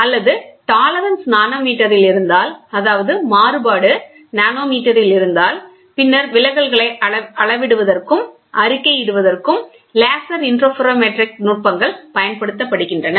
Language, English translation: Tamil, Or, if the tolerance is in nanometer; that means, to say variation is in nanometer, then laser interferometric techniques are used to measure the deviations and report